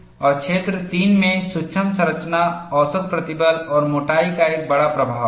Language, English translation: Hindi, And in region 3, micro structure, mean stress and thickness have a large influence